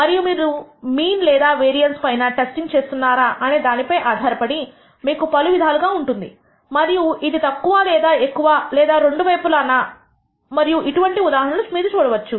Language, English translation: Telugu, And we can have different types depending on whether you are testing for the mean or the variance and whether this is less than or greater than or on both sided and we would see many such examples